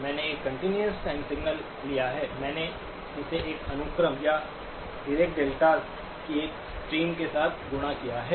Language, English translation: Hindi, I have taken a continuous time signal, I multiplied it with a sequence or a stream of Dirac deltas